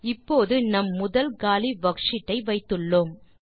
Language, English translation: Tamil, Now we have our first worksheet which is empty